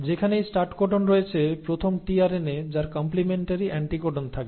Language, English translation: Bengali, Wherever there is a start codon the first tRNA which will have the complementary anticodon